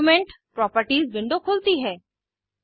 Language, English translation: Hindi, Document Properties window opens